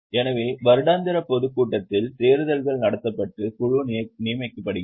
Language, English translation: Tamil, So, in the annual general meeting elections are held and board is appointed